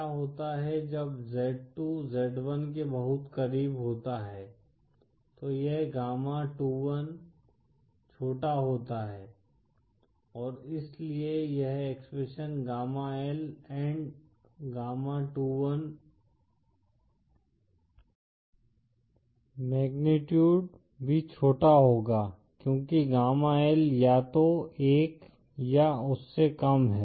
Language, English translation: Hindi, What happens is when z2 is very close to z1 then this gamma21 is small & so this expression, gamma L & gamma21 magnitude, will be even smaller because gamma L is either 1 or lesser than